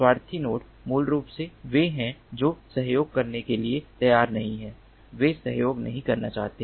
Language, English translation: Hindi, selfish nodes are basically the ones which are unwilling to cooperate